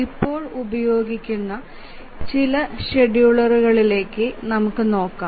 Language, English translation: Malayalam, So, now we will start looking at some of the schedulers that are being used